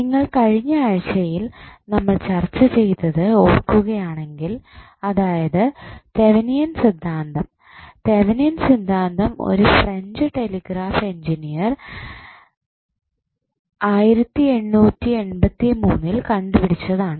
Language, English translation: Malayalam, Norton's Theorem if you remember what we discussed in the last week about the Thevenin's theorem that Thevenin theorem was given by French telegraph Engineer in 1883 then around 43 years after in 1926 the another American Engineer called E